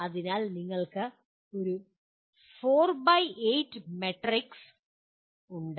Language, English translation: Malayalam, So you have 4 by 8 matrix